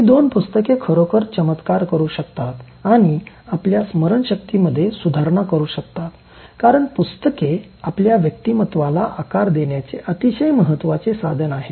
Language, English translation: Marathi, These two books can really work wonders for you in terms of improving your memory as well as using your mind as a very powerful tool in shaping your personality